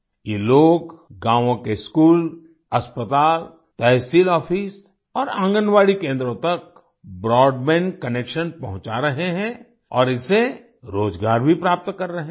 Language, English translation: Hindi, These people are providing broadband connection to the schools, hospitals, tehsil offices and Anganwadi centers of the villages and are also getting employment from it